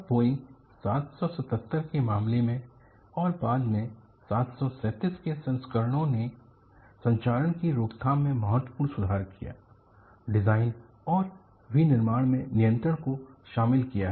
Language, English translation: Hindi, And in the case of Boeing777 and later versions of 737 have incorporated significant improvements in corrosion prevention, and control in design and manufacturing